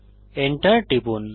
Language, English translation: Bengali, And Press Enter